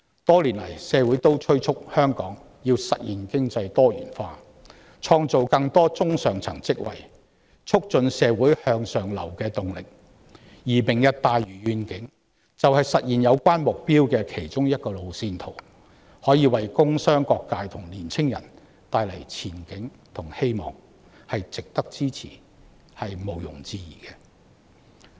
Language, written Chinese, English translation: Cantonese, 多年來，社會敦促政府實現香港經濟多元化，創造更多中上層職位，加強社會向上流的動力，而"明日大嶼願景"便是實現有關目標的其中一個路線圖，可以為工商各界和年青人帶來前景和希望，毋庸置疑是值得支持的。, Over the years society has been urging the Government to achieve economic diversification and create more middle - to - top tier jobs in Hong Kong so as to enhance upward social mobility . The Lantau Tomorrow Vision is exactly one of the roadmaps to realize such goals offering prospects and hopes to various industrial and commercial sectors and young people and thus undoubtedly worthy of our support